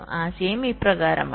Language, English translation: Malayalam, see, the idea is as follows